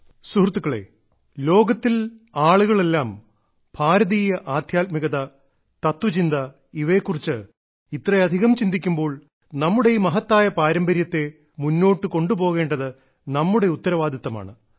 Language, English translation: Malayalam, when the people of the world pay heed to Indian spiritual systems and philosophy today, then we also have a responsibility to carry forward these great traditions